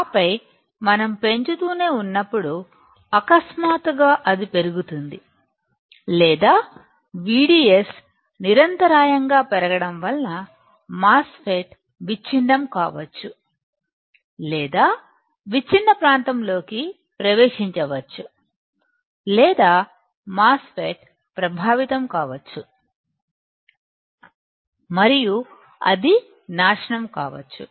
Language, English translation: Telugu, And then when we keep on increasing suddenly it shoots up after or continuous increase in the V D S and the MOSFET may get breakdown or enters a breakdown region or the MOSFET may get affected and it may get destroyed